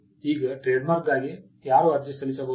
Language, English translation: Kannada, Now, who can apply for a trademark